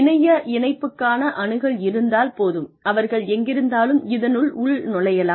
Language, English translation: Tamil, They can login wherever, if they have access to an internet connection